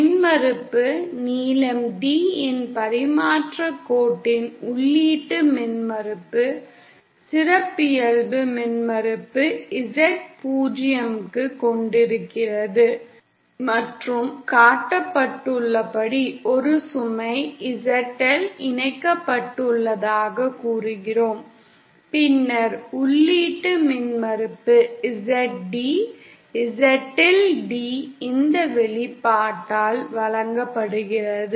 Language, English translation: Tamil, The impedance, the input impedance of a transmission line of length D, having characteristic impedance Z 0 and say we have a load ZL connected as shown, then the input impedance Z D, Z in D is given by this expression